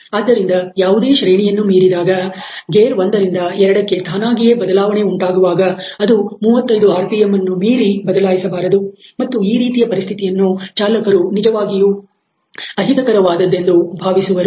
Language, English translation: Kannada, So, whatever be that range over which the first to second gear shift would automatically happen is not shifted by a maximum of 35 rpm beyond which and this particular region the trucker feels really uncomfortable